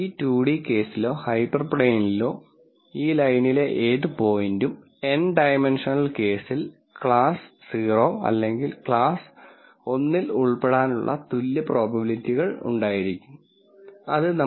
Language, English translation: Malayalam, That basically says that any point on this line in this 2 d case or hyperplane, in the n dimensional case will have an equal probability of belonging to either class 0 or class 1 which makes sense from what we are trying to do